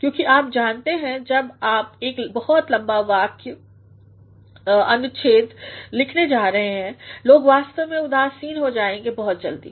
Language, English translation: Hindi, Because you know when you are going to write a very long sentence or a very long paragraph, people actually get disinterested very soon